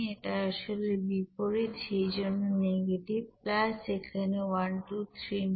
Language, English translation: Bengali, This is reverse that is why negative plus here 1239